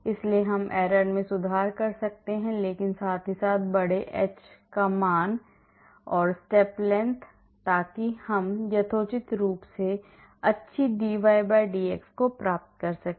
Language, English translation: Hindi, So, we can improve on the error but at the same time have reasonably large h value, the step length, so that we get reasonably good dy/dx